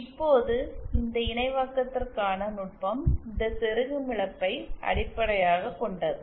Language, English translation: Tamil, Now the technique for this synthesis is based on this insertion loss